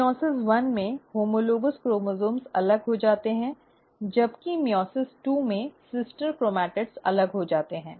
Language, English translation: Hindi, In meiosis one, the homologous chromosomes get separated, while in meiosis two, the sister chromatids get separated